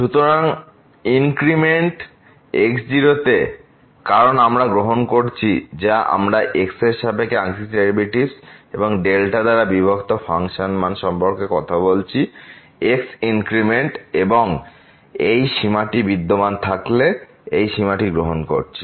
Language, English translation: Bengali, So, the increment in because we are taking or we are talking about the partial derivatives with respect to x and the function value divided by the delta increment and taking this limit if this limit exists